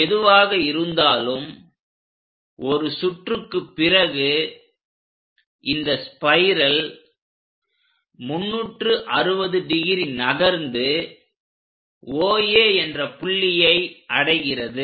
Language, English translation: Tamil, Whatever might be end of the day for one revolution this entire spiral covers 360 degrees and reaches the point OA